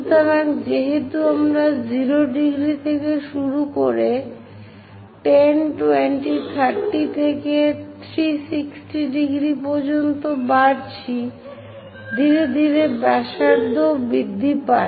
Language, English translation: Bengali, So, as I am going beginning from 0 degrees increases to 10, 20, 30 and so on 360 degrees, gradually the radius also increases